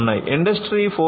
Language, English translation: Telugu, In Industry 4